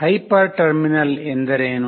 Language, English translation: Kannada, What is a hyper terminal